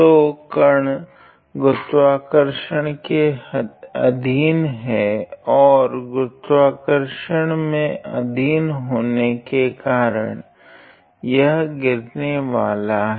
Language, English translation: Hindi, So, the particle is under the action of gravity and it is going to and due to the action of gravity it is going to fall ok